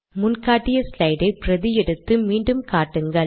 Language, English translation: Tamil, Make a copy of the earlier shown slide and do it again